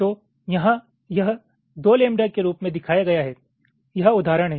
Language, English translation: Hindi, so here it is shown as two lambda